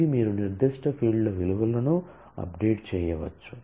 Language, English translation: Telugu, It you could update the values of specific fields